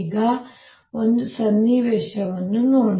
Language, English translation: Kannada, now look at a situation